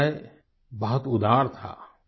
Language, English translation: Hindi, She had a very generous heart